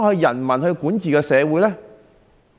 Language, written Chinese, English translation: Cantonese, 人民如何管治社會呢？, How do the people govern society then?